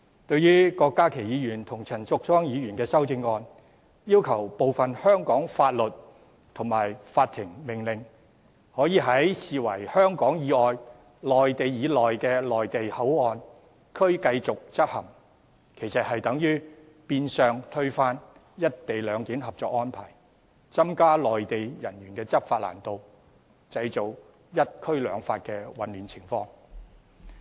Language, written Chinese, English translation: Cantonese, 對於郭家麒議員和陳淑莊議員的修正案，要求部分香港法律及法庭命令可以在被視為處於香港以外並處於內地以內的內地口岸區繼續執行，其實變相推翻《合作安排》，增加內地人員的執法難度，製造"一區兩法"的混亂情況。, As for the amendments of Dr KWOK Ka - ki and Ms Tanya CHAN requesting continued enforcement of some of the laws of Hong Kong and court orders in MPA being regarded as an area lying outside Hong Kong but lying within the Mainland they are actually tantamount to overturning the Co - operation Arrangement thereby making it more difficult for Mainland personnel to enforce laws and creating the confusion of one area two laws